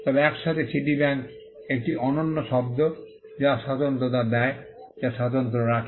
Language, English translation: Bengali, But together Citibank is a unique word which gives distinct which has distinctiveness